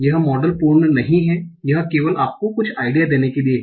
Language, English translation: Hindi, It's not the complete model just to give you some idea